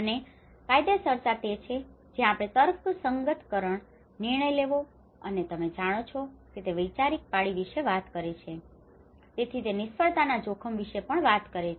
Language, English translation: Gujarati, And legitimation that is where we talk about rationalisation, decision faking, and ideological shifts you know this is where, so that is how it talks about the risk of failure as well